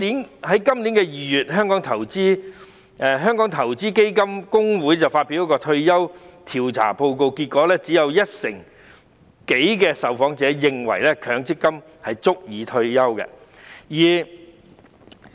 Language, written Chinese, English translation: Cantonese, 然而，在今年2月，香港投資基金公會發表一份退休調查報告，結果顯示只有一成多的受訪者認為強積金足以支持退休生活。, In February this year the Hong Kong Investment Funds Association released a survey report on retirement . It was found that only some 10 % of the respondents considered MPF benefits sufficient to support their retirement lives